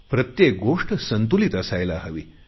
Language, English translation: Marathi, There should be a balance in everything